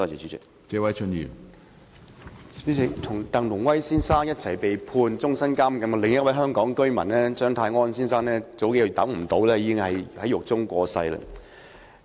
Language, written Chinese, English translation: Cantonese, 主席，與鄧龍威先生共同被判終身監禁的另一名香港居民張泰安先生，數月前已等不及上訴而在獄中過身。, President Mr CHEUNG Tai - on another Hong Kong resident who was sentenced to life imprisonment together with Mr TANG Lung - wai could not live till his appeal was heard and died in prison a few months ago